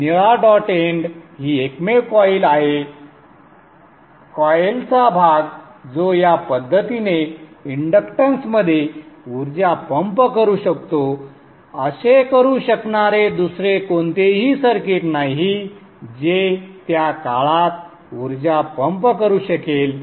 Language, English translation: Marathi, So the blue dot end is the only, the only coil, the only coil, which can pump energy into the inductance in this fashion